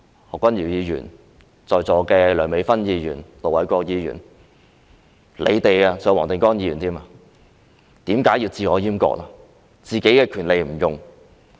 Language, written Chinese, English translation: Cantonese, 何君堯議員、在座的梁美芬議員、盧偉國議員及黃定光議員，你們為何要自我閹割呢？, Dr Junius HO and Dr Priscilla LEUNG Ir Dr LO Wai - kwok and Mr WONG Ting - kwong who are in the Chamber now why should you castrate yourselves?